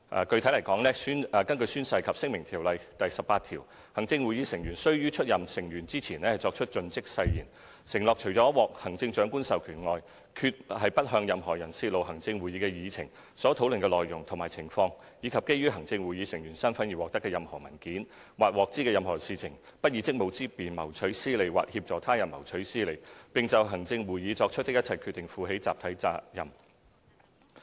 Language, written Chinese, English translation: Cantonese, 具體來說，根據《宣誓及聲明條例》第18條，行政會議成員須於出任成員前作出"盡職誓言"，承諾"除獲行政長官的授權外，決不向任何人泄露行政會議的議程、所討論的內容及情況以及基於行政會議成員身分而獲得的任何文件，或獲知的任何事情，不以職務之便謀取私利或協助他人謀取私利，並就行政會議作出的一切決定，負起集體責任"。, According to section 18 of the Oaths and Declarations Ordinance Cap . 11 a person shall take the Oath of Fidelity before heshe becomes a Member of the Executive Council o pledging that I will not except with the authority of the Chief Executive reveal the agenda or proceedings of the Executive Council or any document communicated to me or any matter coming to my knowledge in my capacity as a Member of the Executive Council; that I will not seek to make or assist others to make any personal gain through the exercise of my official duties and I will be bound by and be collectively accountable for the decisions of the Executive Council